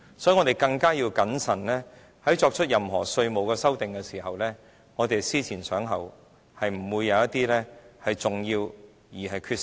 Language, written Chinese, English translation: Cantonese, 所以，我們對稅務條文作出任何修訂時更應謹慎，要思前想後，不會出現重要缺失。, Therefore we must act prudently and think twice before we modify the tax regime . We must not make any mistake in this regard